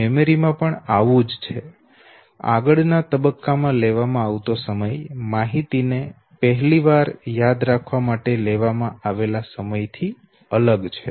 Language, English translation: Gujarati, So is the case with memory and therefore the time taken no in the next phase is no different from the time taken originally to memorize the information, okay